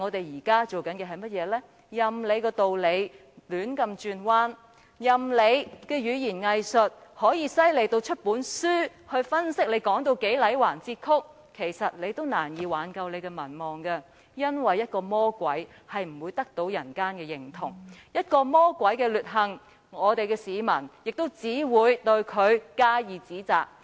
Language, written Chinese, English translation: Cantonese, 任憑他如何把道理說得天花亂墜，任憑其語言"偽術"如何厲害至可以著書立說，但也難以挽救其民望。原因是，魔鬼永不會得到人間的認同，對於魔鬼的劣行，市民只會加以指責。, However hard he argues even if he can write a whole book on doublespeak he can do very little to salvage his popularity because the Devil will never be accepted in the world of humans; people will only condemn the evil deeds of the Devil